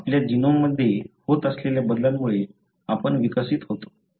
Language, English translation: Marathi, We evolve because of the changes that are there, taking place in your genome